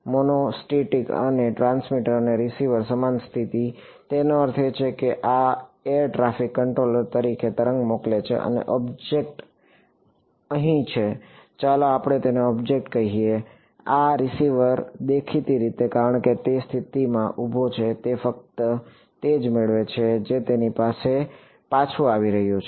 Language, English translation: Gujarati, So, monostatic means transmitter and receiver same position; that means, this air traffic controller sends a wave and the object is over here let us just call it object, this receiver the; obviously, because its standing at that position it only gets only collects what is coming back to it